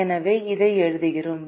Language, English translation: Tamil, so we write this